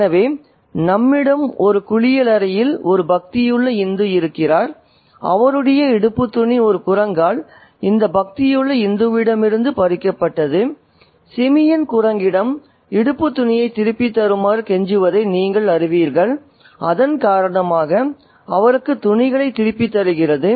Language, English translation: Tamil, So we have a pious Hindu who has been taking a bath there and his loin cloth had been snatched away by a monkey and this pious Hindu, you know, pleads to the simeon, to the monkey to give him the loin cloth back and the monkey exceeds gives him the cloth back